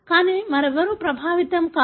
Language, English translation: Telugu, But nobody else is affected